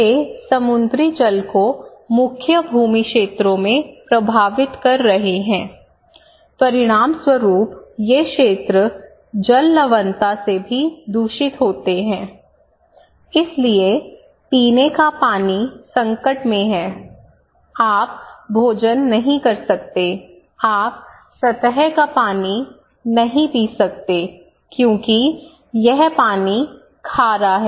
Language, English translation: Hindi, They are channelising the seawater into mainland areas, so as upland areas; as a result, these areas are also contaminated by water salinity so, drinking water is in crisis, you cannot eat, you cannot drink surface water because this water is saline, and the groundwater because of arsenic